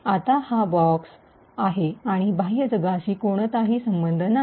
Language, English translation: Marathi, Now, this is a box and there is no connection to the outside world